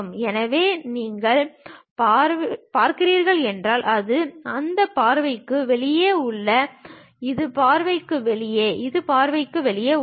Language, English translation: Tamil, So, if you are looking, it is outside of that view; this one also outside of the view, this is also outside of the view